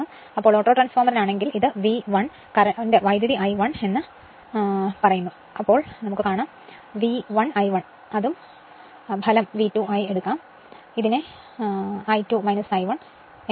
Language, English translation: Malayalam, So, for autotransformer if you take, the this is the V 1 and current is I 1 say V 1 I 1 right and output output we are taking V 2 into your what you call your this thing your I 2 minus I 1 right